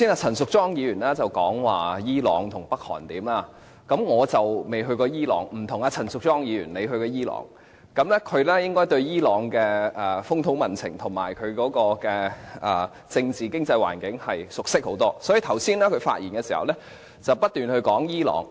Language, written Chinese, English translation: Cantonese, 陳淑莊議員剛才說伊朗和北韓的情況，我未去過伊朗，與陳淑莊議員不同，她曾前往伊朗，對伊朗的風土民情及政治經濟環境熟識得多，所以剛才她發言時不斷談及伊朗。, Ms Tanya CHAN has introduced the situation in Iran and North Korea just now . Unlike Tanya CHAN who had been to Iran and thus has a better understanding of the customs and traditions as well as the political and economic realities there I have never been to that country . This also explains why she kept on mentioning Iran in her speech just now